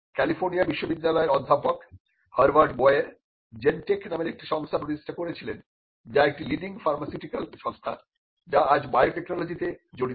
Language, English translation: Bengali, Herbert Boyer a professor from University of California co founded the company Genentech, which is one of the leading pharmaceutical companies, which involved in biotechnology today